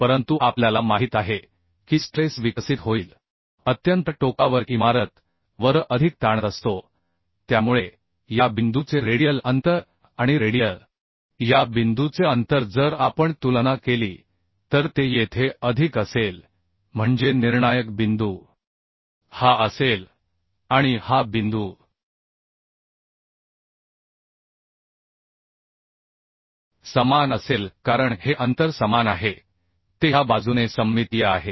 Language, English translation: Marathi, But we know the stresses will develop much more at the extreme point building stresses so the radial distance of this point and radial distance of this point if we compare it will be more here that means the critical point will be this point